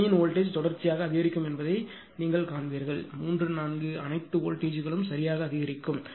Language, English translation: Tamil, Here then you will see voltage of this node will increase successively; 3, 4 all the voltages will increase right